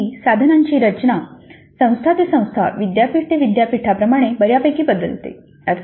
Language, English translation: Marathi, Now the structure of the ACE instrument varies considerably from institute to institute, university to university